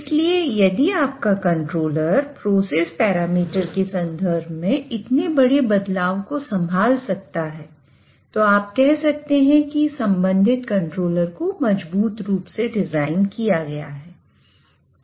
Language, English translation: Hindi, So, if your controller is able to handle such a large variation in terms of process parameters, then you can say that the corresponding controller is robustly designed